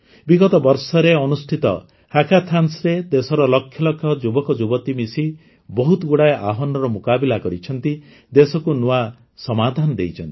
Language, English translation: Odia, A hackathon held in recent years, with lakhs of youth of the country, together have solved many challenges; have given new solutions to the country